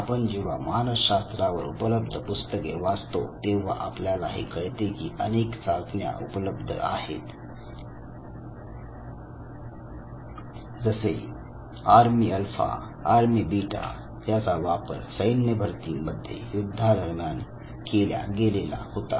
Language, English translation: Marathi, Again if you look at the introductory psychology books you would realize that lot of tests are there and historically army alpha, army beta test that was used historically for assessment of the civilians to get recruited into the armed forces the world war